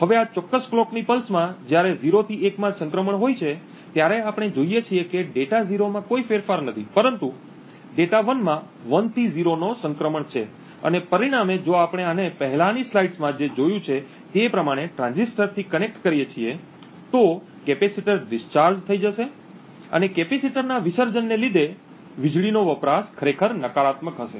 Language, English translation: Gujarati, Now in this particular clock pulse when there is a transition from 0 to 1 in this particular clock pulse what we see is that there is no change in data 0 but data 1 transitions from 1 to 0 and as a result if we connect this to the transistors what we have seen in the previous slide, the capacitor would be discharged and the power consumed would be actually negative because of the discharging of the capacitor